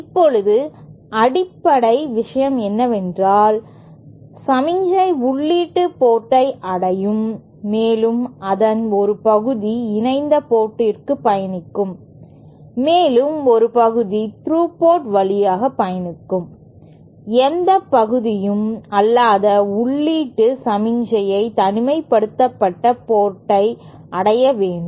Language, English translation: Tamil, Now the basic point is that there will be a signal reaching the input port and the part of that will travel to the coupled port and a part of that will travel to the through port and no part of the input signal should reach the isolated port